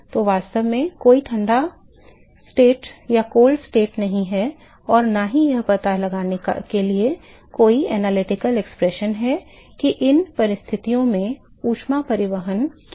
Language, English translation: Hindi, So, there is really no cold nation and no analytical expression to find out what is the heat transport in these conditions